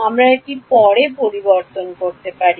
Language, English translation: Bengali, We can change it later